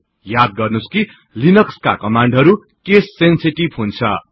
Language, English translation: Nepali, However note that linux commands are case sensitive